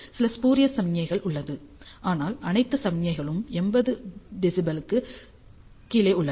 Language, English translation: Tamil, Along with you have some spurious signals, but all all the signals are well below 80 d B